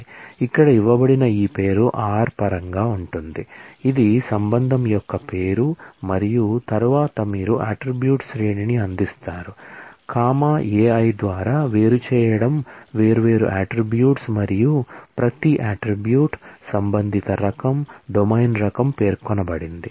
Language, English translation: Telugu, So, with the create table you have to specify a name, here the name that is given is in terms of this name r, which is the name of the relation and then you provide a series of attributes, separating by comma Ai are different attributes and for every attribute, there is a corresponding type domain type specified